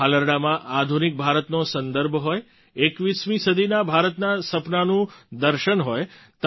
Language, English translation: Gujarati, In these lullabies there should be reference to modern India, the vision of 21st century India and its dreams